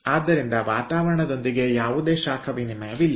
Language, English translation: Kannada, so with the ambient there is no heat exchange